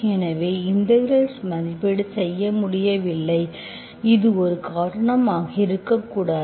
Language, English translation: Tamil, So you could not evaluate the integral, this may not be the reason